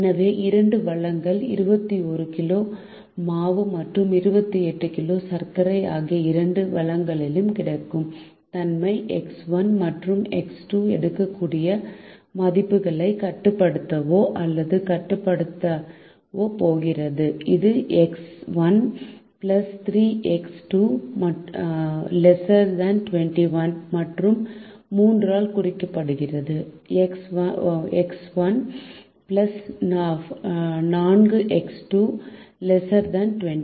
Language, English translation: Tamil, so the two resources availability of the two resources, which is twenty one kg of flour and twenty eight kg of sugar are going to restrict or limit the values that x one and x two can take, and that is represented by three x one plus three x two less than or equal to twenty one, and three x one plus four x two less than or equal to twenty eight